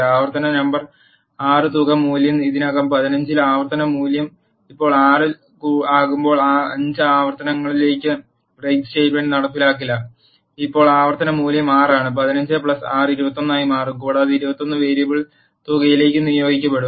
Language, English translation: Malayalam, And the break statement will not be executed until 5 iterations when the iteration number 6 comes sum value is already 15, and the iteration value now is 6, 15 plus 6 will become 21 and that 21 will get assigned to the variable sum